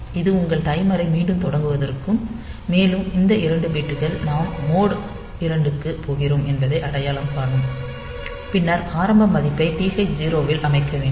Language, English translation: Tamil, So, it will resume your timer and these 2 bits will identify that we are going for mode 2, then we have to set the initial value in TH 0